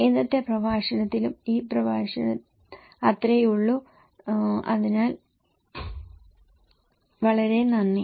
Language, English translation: Malayalam, So that’s all for today's lecture, this lecture, so thank you very much